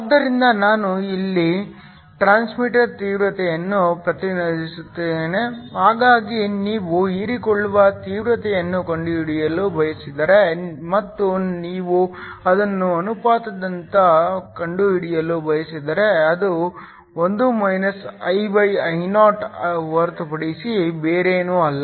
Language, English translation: Kannada, So, I here represents the transmitter intensity so if you want to find the absorbed intensity, and if you want to find it as a ratio it is nothing but 1 I/Io